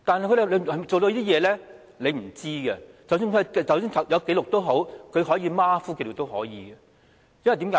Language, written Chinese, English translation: Cantonese, 我們並不知道，即使有紀錄，也可以是馬虎地記錄，為甚麼呢？, We have no idea . Even though there are records such records can be sloppy . Why?